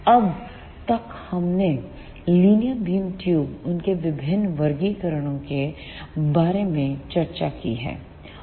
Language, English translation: Hindi, Till now we have discussed about the linear beam tubes, their different classifications